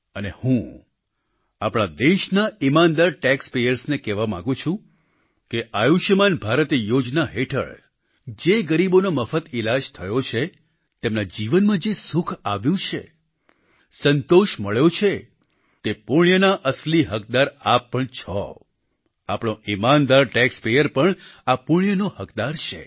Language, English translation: Gujarati, And I want to tell the honest Tax payer of our country that the credit for happiness and satisfaction derived by the beneficiaries treated free under the 'Ayushman Bharat'scheme makes you the rightful stakeholder of the benefic deed, our honest tax payer also deserves the Punya, the fruit of this altruistic deed